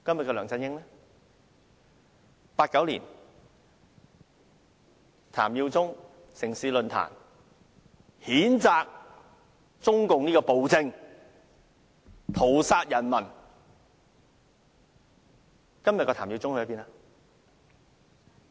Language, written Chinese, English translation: Cantonese, 在1989年，譚耀宗在"城市論壇"譴責中共這殘暴政權屠殺人民，今天的譚耀宗在哪裏？, In 1989 in City Forum TAM Yiu - chung condemned the brutal regime of the Communist Party of China for massacring the people . Where is TAM Yiu - chung today?